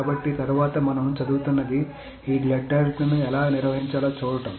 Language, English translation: Telugu, So next what we will be studying is to see how to handle this deadlock